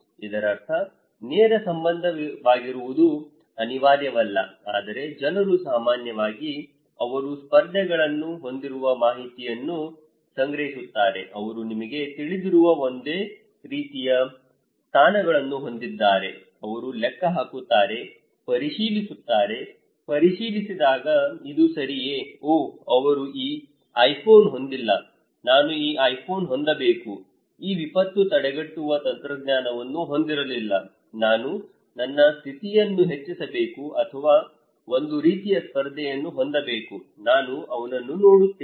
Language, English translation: Kannada, That means it is not necessarily to be direct relationship, but people generally collect information with whom they have competitions, they have a same kind of positions you know, they tally, the check; cross check this is okay, oh he did not have this iPhone, I should have this iPhone, he did not have this disaster preventive technology, I should have to raise my status or a kind of competition so, I watch him